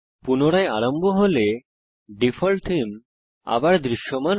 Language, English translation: Bengali, When it restarts, the default theme is once again visible